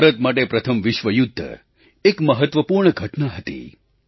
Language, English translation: Gujarati, For India, World War I was an important event